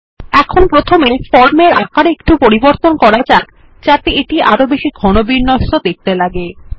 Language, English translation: Bengali, Here, let us first, resize the form, so it looks compact and less imposing